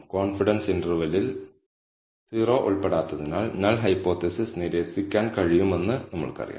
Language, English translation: Malayalam, So, we know that, we can reject the null hypothesis, since the confidence interval does not include 0